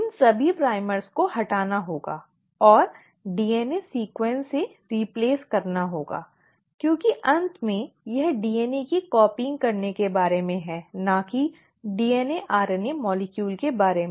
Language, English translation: Hindi, All these primers have to be removed and have to be replaced with a DNA sequence, because in the end it is about copying the DNA and not DNA RNA molecule